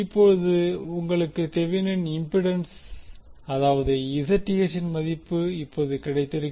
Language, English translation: Tamil, So now you have got the value of the Thevenin impedance that is the Zth